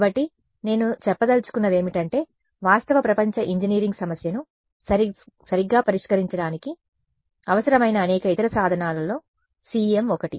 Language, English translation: Telugu, So, these are all that I mean what I want to convey is that CEM is one of the tools like many others which together will be needed to solve a real world engineering problem right